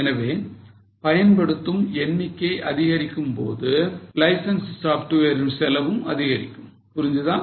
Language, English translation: Tamil, So, per unit as the units increase, your cost of license software increase